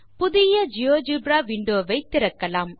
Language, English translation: Tamil, Now to the geogebra window